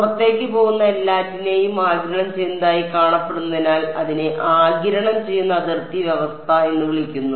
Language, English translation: Malayalam, It is called absorbing boundary condition because it appears as what is absorbing everything that is going out